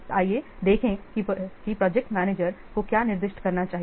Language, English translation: Hindi, So, let's see what the project manager should specify